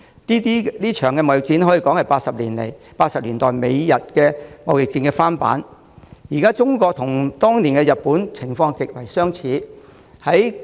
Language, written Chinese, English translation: Cantonese, 這場貿易戰可說是1980年代美日貿易戰的翻版，今日的中國和當年的日本情況極為相似。, This trade war can be described as a repeat of the trade war between Japan and the United States in the 1980s considering the close parallels between China today and Japan back then